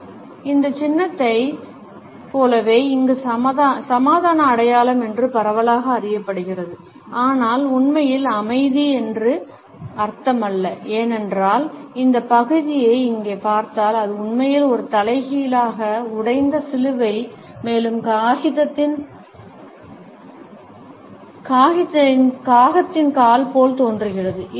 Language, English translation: Tamil, Much like this symbol here is widely known as the peace sign, but does not really mean peace, because if you look at this part here, it is really an upside down broken cross which kind of looks like a crow’s foot